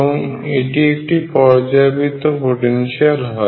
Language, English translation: Bengali, So, this is also a periodic potential